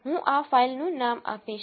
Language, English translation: Gujarati, I will give this file name